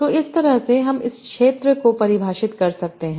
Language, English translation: Hindi, So in that way we can define this field